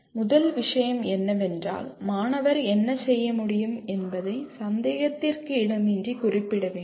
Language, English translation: Tamil, Should first thing is it should unambiguously state what the student should be able to do